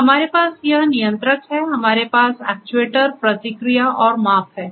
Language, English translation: Hindi, So, we have this controller, we have the actuator, the process and the measurement right